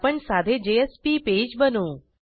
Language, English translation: Marathi, We will now create a simple JSP page